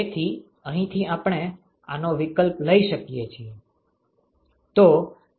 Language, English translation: Gujarati, So, from here we can substitute this